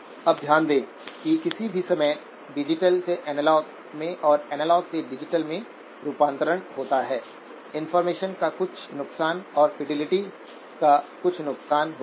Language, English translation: Hindi, Now notice that any time there is a conversion from digital to analog and from analog to digital, there is some loss of information and some loss of fidelity